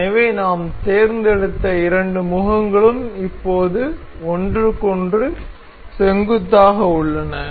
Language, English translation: Tamil, So, the two faces that we selected are now perpendicular to each other